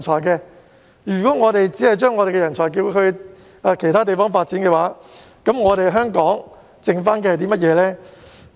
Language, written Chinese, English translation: Cantonese, 如果我們只把人才送往其他地方發展，香港還剩下甚麼呢？, If we only send our talents to develop their careers in other places what will be left in Hong Kong?